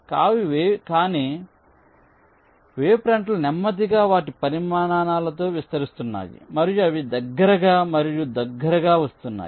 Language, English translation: Telugu, so the wavefronts are slowly expanding in their sizes and they are coming closer and closer together